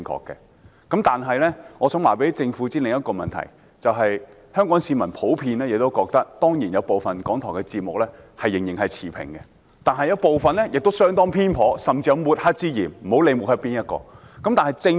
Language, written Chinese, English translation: Cantonese, 但是，我想告訴政府另一個問題：香港市民普遍認為，當然有部分港台節目仍然持平，但有部分節目相當偏頗，甚至有抹黑之嫌，不管是抹黑誰。, However I wish to advise the Government of another issue Hong Kong people generally believe that some RTHK programmes are still impartial but some are quite biased or even suspected of engaging in mud - slinging no matter who the target is